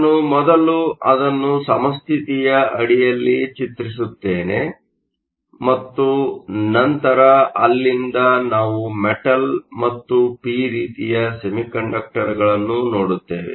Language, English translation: Kannada, Let me draw that first under equilibrium, and then from there we will look at a metal and a p type semiconductor